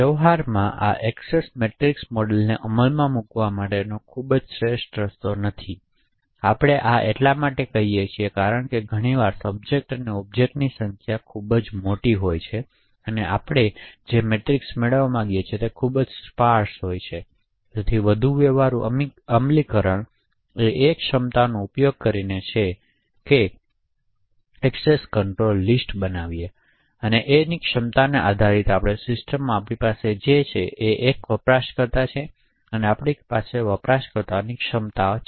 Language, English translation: Gujarati, So in practice it is not a very optimal way to implement this access matrix model, this is because quite often the number of subjects and objects are quite large and the matrix that we obtain is highly sparse and therefore a more practical implementation is by using capabilities or access control list, in a capability based system what we have is that we have one user and we have the capabilities of the users